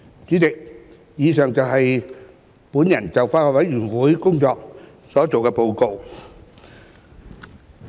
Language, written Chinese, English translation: Cantonese, 主席，以上是我就法案委員會工作的報告。, President the above is my report on the work of the Bills Committee